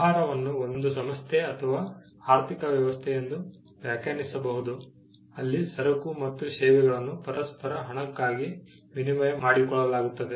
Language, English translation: Kannada, A business can be defined as, an organization or an economic system, where goods and services are exchanged for one another of money